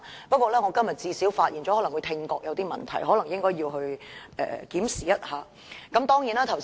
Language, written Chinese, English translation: Cantonese, 不過，我今天最少發現了他的聽覺可能有些問題，應該檢查一下。, Having said that today I have at least found out that he may have some hearing problems and he should have a check - up